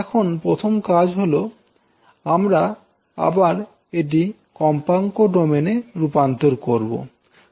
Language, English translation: Bengali, Now first task is that again we have to transform this into frequency domain